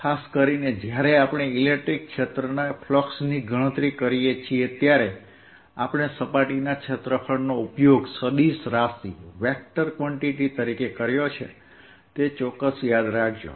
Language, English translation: Gujarati, particularly when we saw that we are calculating flux of electric field, then we used surface area as a vector quantity